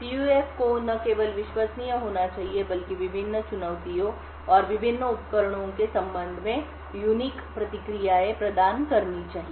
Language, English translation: Hindi, The PUF should not only be reliable but also, should provide unique responses with respect to different challenges and different devices